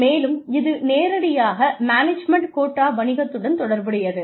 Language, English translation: Tamil, And, this is directly related to this, management quota business